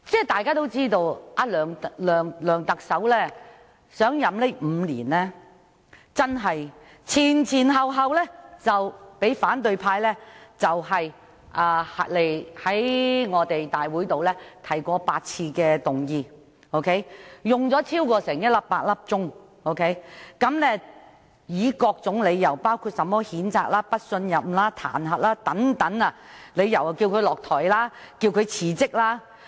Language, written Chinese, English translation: Cantonese, 大家也知道，自梁特首上任5年以來，反對派已先後在立法會提出8次議案，並一共花了超過100小時進行討論，而所用的理由包括譴責、不信任或彈劾等，要求他下台或辭職。, As we all know the opposition camp has already moved eight such motions since Chief Executive LEUNG Chun - ying assumed office five years ago and so far the Legislative Council has spent more than 100 hours to discuss such motions . The reasons of moving these motions include to censure to express no confidence or to impeach in the hope of urging him to step down or resign